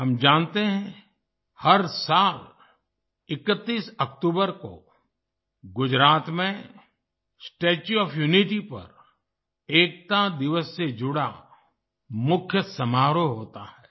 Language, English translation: Hindi, We know that every year on the 31st of October, the main function related to Unity Day takes place at the Statue of Unity in Gujarat